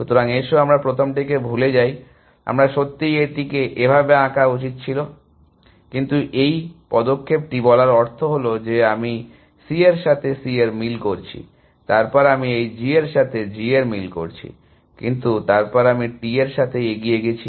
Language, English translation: Bengali, So, let us forget the first ones, I should have really drawn this like that, but this move amounts to saying that I am matching C with this C, then I am matching this G with this G, but then I run with T with